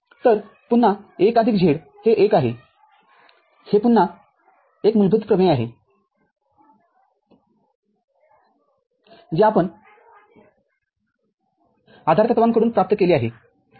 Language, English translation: Marathi, So, again 1 plus z is 1 that is again a basic theorem we have derived from postulates ok